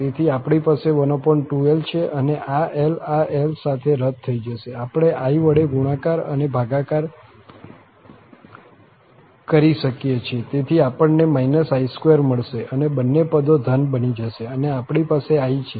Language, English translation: Gujarati, So, 1 over 2l, so, this l will get cancelled with this l, the i, we can multiply and divide, so, minus i square, so, both term will become positive and we have i there